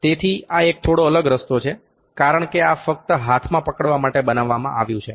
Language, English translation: Gujarati, So, this is a little way out because this is just made to hold in the hand